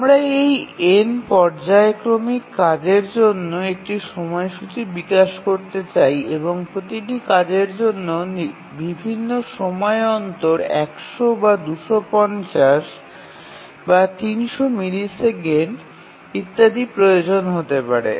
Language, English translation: Bengali, Let me rephrase that if we want to develop a schedule for this n periodic tasks, each task requiring running at different time intervals, some may be 100, some may be 250, some may be 300 milliseconds etc